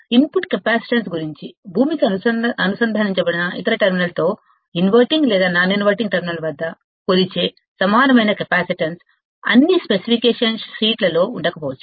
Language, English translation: Telugu, About the input capacitance, the equivalent capacitance measured at either the inverting or non interval terminal with the other terminal connected to ground, may not be on all specification sheets